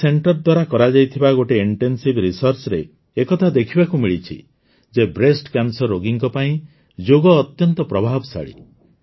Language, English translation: Odia, An intensive research done by this center has revealed that yoga is very effective for breast cancer patients